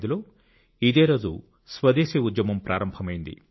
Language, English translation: Telugu, On this very day in 1905, the Swadeshi Andolan had begun